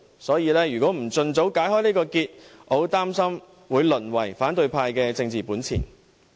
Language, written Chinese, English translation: Cantonese, 所以，如果不盡早解開這個結，我十分擔心這議題會淪為反對派的政治本錢。, So I am very concerned that if we fail to undo this knot as early as possible this issue may turn into a political asset of the opposition